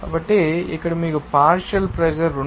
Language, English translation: Telugu, So, here partial pressure is given to you that is 2